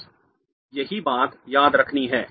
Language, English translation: Hindi, That's the only thing you have to remember